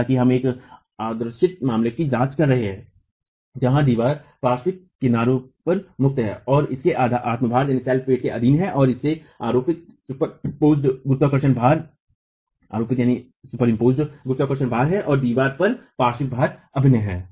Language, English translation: Hindi, However, we are examining an idealized case where the wall is free on the lateral edges and is subjected to itself weight and there is superimposed gravity for gravity loads and there is lateral load acting on the wall